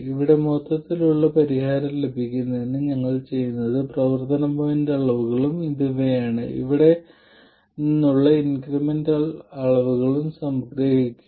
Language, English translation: Malayalam, And to get the total solution here, what we do is we sum the operating point quantities which are these and the incremental quantities from here